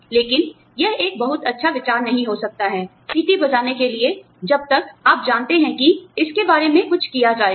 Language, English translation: Hindi, But, it may not be a very good idea, to blow the whistle, till you know, that something will be done, about it